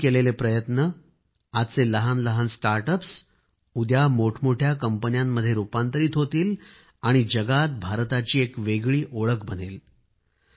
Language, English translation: Marathi, Your efforts as today's small startups will transform into big companies tomorrow and become mark of India in the world